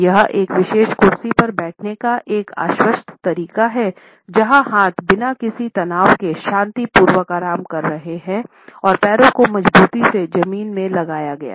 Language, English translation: Hindi, It is a confident way of sitting on a particular chair where arms are resting peacefully without any tension and feet are also planted firmly on the floor